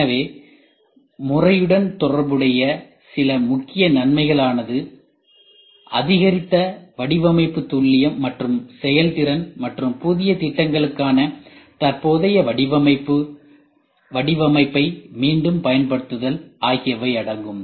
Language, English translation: Tamil, So, some of the major benefits associated with the methodology include increased design accuracy and efficiency and their reuse of the existing design for the new programs